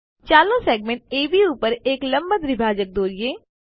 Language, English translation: Gujarati, Lets construct a perpendicular bisector to the segment AB